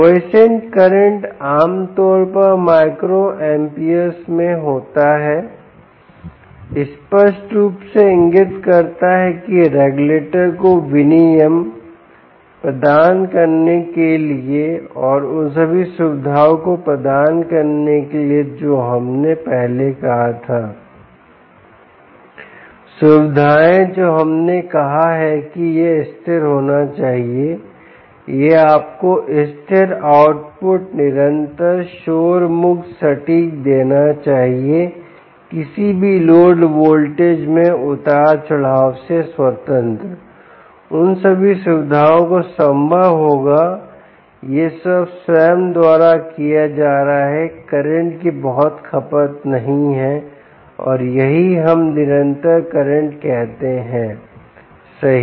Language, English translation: Hindi, the quiescent current is typically in micro amps, clearly indicating that for the regulator to provide regulation and provide all the features that we said previously, the features, the requirements that we said, are: it should be stable, it should give you stable output, constant noise, free, accurate, independent of any load voltage fluctuations